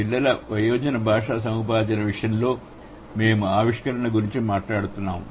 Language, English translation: Telugu, So, in case of child versus adult language acquisition, we did talk about the innovation